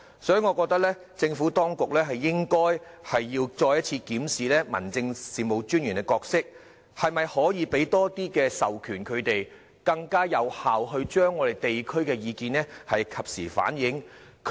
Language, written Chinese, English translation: Cantonese, 所以，我覺得政府當局應該再次檢視民政事務專員的角色，看看可否向他們授予更多權力，使他們能更有效地及時反映地區意見？, For this reason I think the Administration should review the role of District Officers again and examine if it can confer more power on them so that they can reflect the views of the districts more effectively in a timely manner